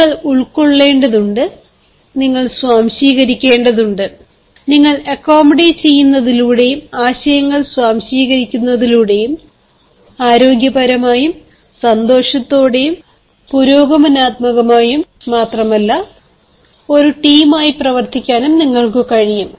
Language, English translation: Malayalam, you need to accommodate, you need to assimilate, and through accommodation and assimilation of ideas you will be better able to work, and work not only healthily, happily, progressively, but work as a team